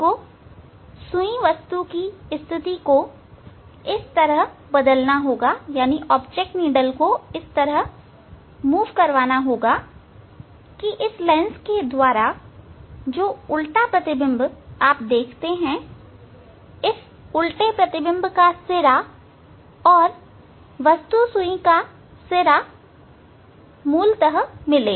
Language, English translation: Hindi, you have to change the position of the of the object needle in such a way that the image inverted image you will see through this lens and the point of this inverted image and the point of the object needle tip basically